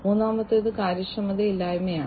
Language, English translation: Malayalam, Third is the inefficiency